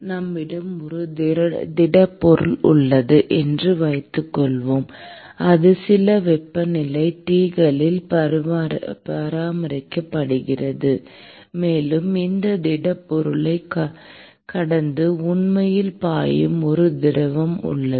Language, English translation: Tamil, Suppose, we have a solid, which is let us say, maintained at some temperature T s and we have a fluid which is actually flowing past this solid object